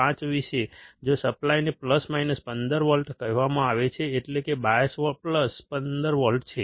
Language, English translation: Gujarati, 5, if the supply is said to be plus minus 15 volts, that is, the bias is plus minus 15 volts